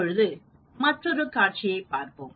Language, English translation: Tamil, Now, let us look at another scenario